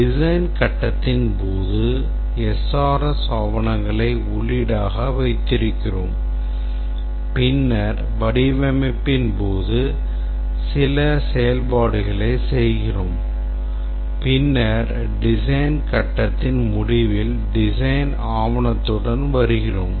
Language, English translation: Tamil, So, this is the design phase and the input is the SRS document we perform some design activities and then at the end of the phase we have the design document